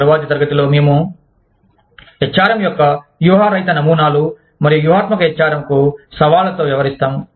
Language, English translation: Telugu, In the next class, we will be dealing with the, non strategic models of HRM, and the challenges to strategic HRM